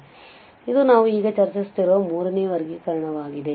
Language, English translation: Kannada, So, this is the third classification which we have, which we are discussing now